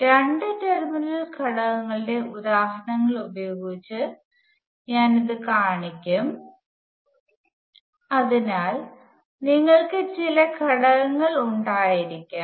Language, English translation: Malayalam, I will show this with examples of two terminal elements, so we can have some components